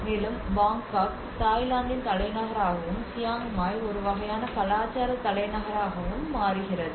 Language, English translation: Tamil, And the Bangkok becomes a capital city of the Thailand and Chiang Mai becomes a kind of cultural capital